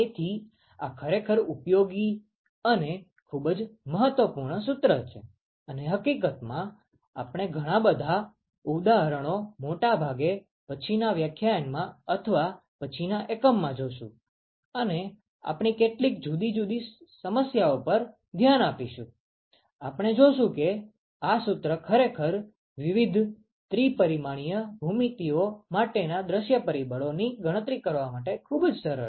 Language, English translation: Gujarati, So, this is a really useful and very very important formula and in fact, we will see several examples mostly in the next lecture or the one after and we will look at several different problems, we will see that this formula actually comes in very handy to calculate view factors for various three dimensional geometries